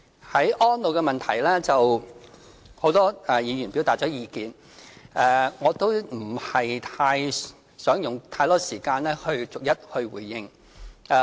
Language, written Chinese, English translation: Cantonese, 在安老方面，很多議員表達了意見，我也不想用太多時間逐一回應。, On elderly care many Members have expressed their views . I do not wish to spend too much time responding to their views seriatim